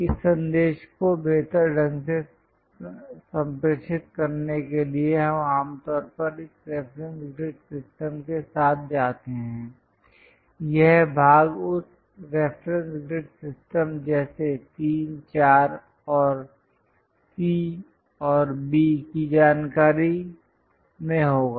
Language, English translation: Hindi, To better convey this message we usually go with this reference grid system the part will be in that reference grid system like 3, 4 and C and B information